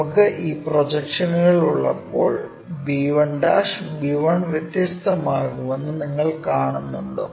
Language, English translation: Malayalam, You see b1' b1 will be different, when we have these projections